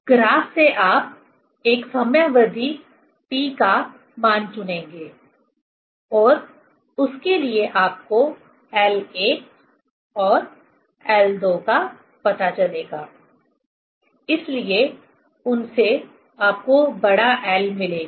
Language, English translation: Hindi, From the graph you will choose a time period T and for that you will find out l 1 and l 2; so from them you will get capital L